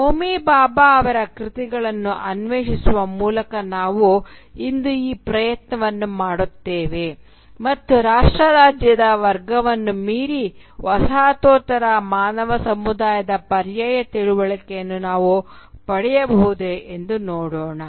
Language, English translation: Kannada, And we will make this attempt today by exploring the works of Homi Bhabha and see if we can arrive at an alternative understanding of postcolonial human community beyond the category of nation state